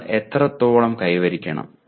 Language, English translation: Malayalam, How much should you attain